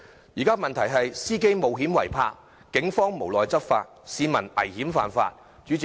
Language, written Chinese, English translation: Cantonese, 現時區內的問題可總結為：司機冒險違泊，警方無奈執法，市民危險犯法。, The current problems in the district can be summed up as drivers risk parking illegally; the Police have no choice but to enforce the law; and the public violate the law recklessly